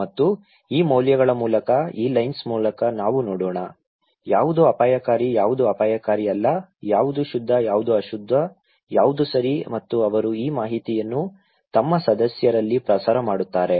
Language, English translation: Kannada, And through these values; through this lens let’s see, what is risky what is not risky, what is pure, what is impure okay and they disseminate this informations among their members